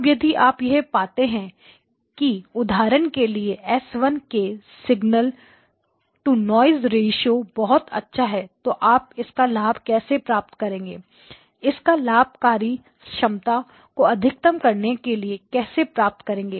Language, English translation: Hindi, Now if you found out that for example S1 had got very good signal to noise ratio, okay then how would you take advantage of it in to maximize capacity